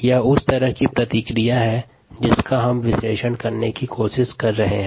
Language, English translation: Hindi, this is the kind of ah response that we were trying to analyze